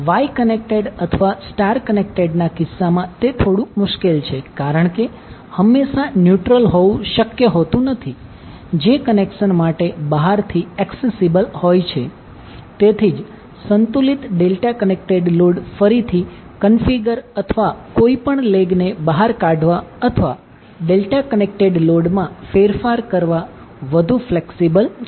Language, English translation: Gujarati, It is difficult is case of wye connected or star connected because it is not always possible to have neutral which is accessible from outside for the connection, so that is why the balanced delta connected load is more feasible for reconfiguring or taking any leg out or doing the changes in the delta connected load